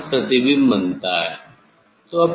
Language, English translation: Hindi, here image is formed